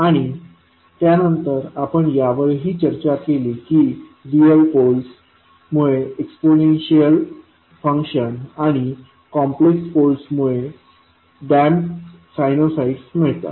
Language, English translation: Marathi, And then we also discussed that real poles lead to exponential functions and complex poles leads to damped sinusoids